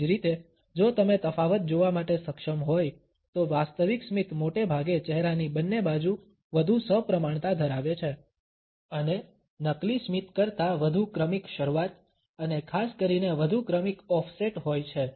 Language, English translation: Gujarati, Similarly, if you are able to notice the difference then genuine smiles are often more symmetrical on both side of the face and have a much more gradual onset and particularly the much more gradual offset than fake smiles